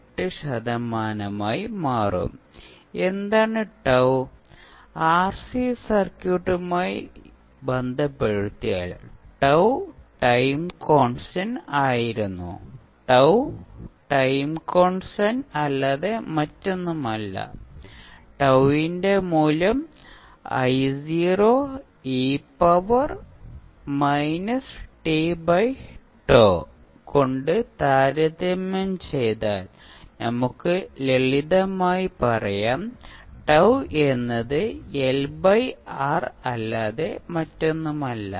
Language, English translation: Malayalam, 8 percent of its initial value now, what is tau, if you correlate with the RC circuit tau was the time constant here also the tau is nothing but the time constant but the value of tau would be if you compare this with the I naught e to the power minus t by tau, then you can simply, say tau is nothing but L by R